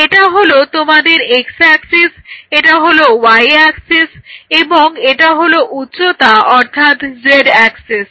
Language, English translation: Bengali, this is your y axis and this is your height or the z axis